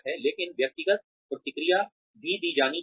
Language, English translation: Hindi, But, individual feedback should also be given